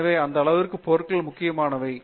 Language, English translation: Tamil, So, to that extent materials are that important